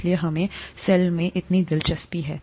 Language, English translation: Hindi, That's why we are so interested in the cell